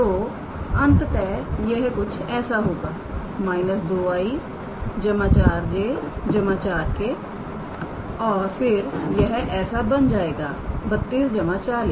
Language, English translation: Hindi, So, ultimately this will be minus 2 i plus 4 j plus 4 k and then this will be 32 plus 40